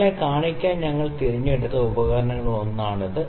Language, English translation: Malayalam, So, this is one of the instruments that we selected it to show you